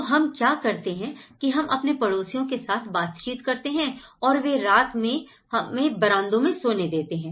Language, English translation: Hindi, So, what we do is we negotiate with our neighbours and they sleep on the nights in their verandas